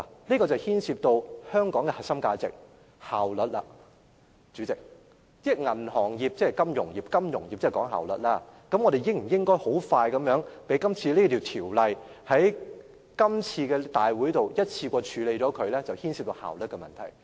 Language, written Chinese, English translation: Cantonese, 這牽涉到香港的核心價值——效率，代理主席，銀行業即金融業，金融業是講求效率的，而我們應否迅速地在今次會議上，一次過完成處理這項《條例草案》的程序，便是效率的問題。, Deputy President the banking industry is indeed the financial industry . The financial industry emphasizes efficiency . Hence whether or not the procedures concerning the Bill should be processed expeditiously in one go at this meeting is a matter of efficiency